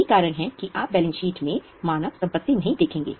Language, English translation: Hindi, That's why human assets you won't see in the balance sheet